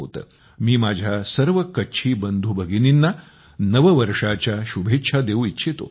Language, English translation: Marathi, I also wish Happy New Year to all my Kutchi brothers and sisters